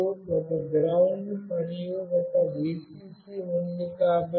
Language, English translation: Telugu, And there is one GND, and one VCC